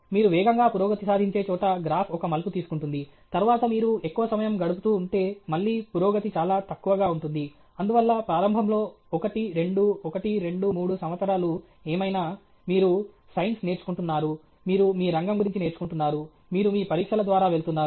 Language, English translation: Telugu, The graph takes a turn okay where you get a rapid progress, then afterwards if you keep on spending more time, again, the progress is very less; therefore, initially, one, two, one, two, three years whatever, you are learning the science, you are learning your field, you are going through your qualifiers and all that